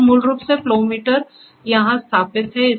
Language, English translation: Hindi, Sir, basically the flow meter is installed here